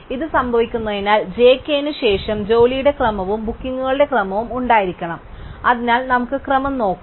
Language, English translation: Malayalam, So, since this happens there must be a sequence of job, sequence of bookings after j k, so let us look at the sequence